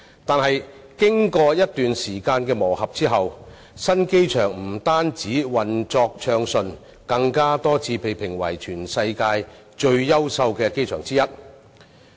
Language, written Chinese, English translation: Cantonese, 但經過一段時間的磨合，新機場不單運作暢順，更多次被評為全世界其中一個最優秀的機場。, But after a period of gearing in the new airport has not only been operating smoothly but also ranked as one of the best airports in the world many times